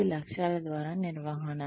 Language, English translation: Telugu, This is the management by objectives